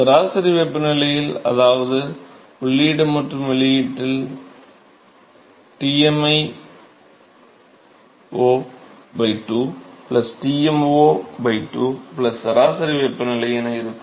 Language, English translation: Tamil, At mean temperature, which is Tmi o by 2 plus Tmo by 2 plus T mean temperature at the inlet and the outlet ok